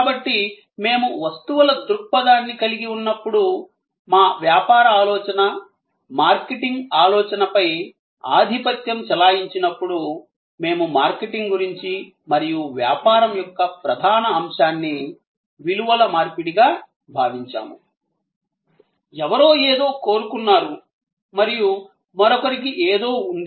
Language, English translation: Telugu, So, when we had the goods perspective, dominating our business thinking, marketing thinking, we thought of marketing and the core of business as exchange a values, somebody wanted something and somebody had something